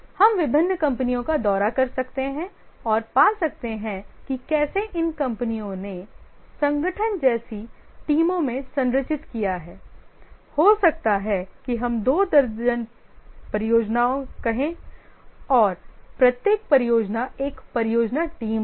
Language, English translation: Hindi, You can visit various companies and find how are these companies they have structured into teams like organization might be having let's say two dozen projects